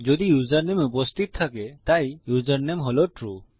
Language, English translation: Bengali, if the username exists so the username is true..